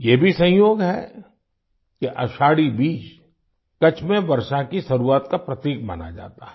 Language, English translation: Hindi, It is also a coincidence that Ashadhi Beej is considered a symbol of the onset of rains in Kutch